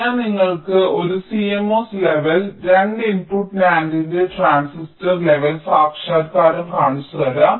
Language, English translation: Malayalam, so i am showing you a cmos level transistor level realization of a two input nand